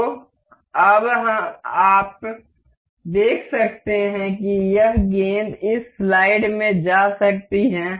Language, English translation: Hindi, So, now, you can see this ball can move into this slide